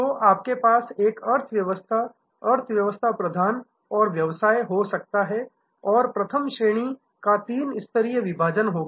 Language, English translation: Hindi, So, you can have an economy, economy prime and business and first class type of three tier segregation will be good